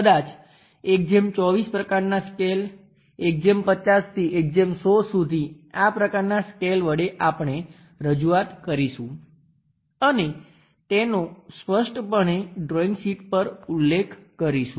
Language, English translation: Gujarati, Maybe 1 is to 24 kind of scale, 1 is to 50, 1 is to 100 such kind of scales we will represent and clearly mention it on the drawing sheet